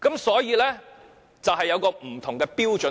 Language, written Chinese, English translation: Cantonese, 所以，署方是持不同的標準。, Therefore CSD is holding a different standard